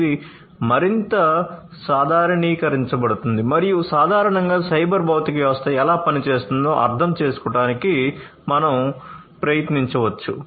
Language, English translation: Telugu, So, this could be generalized further and we can try to understand how, in general, a cyber physical system is going to work